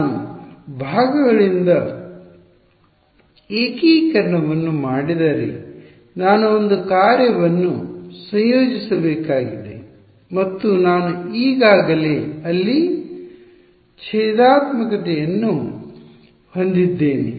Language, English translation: Kannada, If I do integration by parts I have to integrate one function and I already have the differential inside there